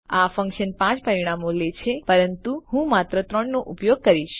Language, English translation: Gujarati, The function takes 5 parameters but I will use just 3